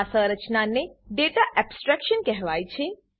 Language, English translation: Gujarati, This mechanism is called as Data abstraction